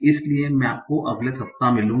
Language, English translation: Hindi, So I'll see you next week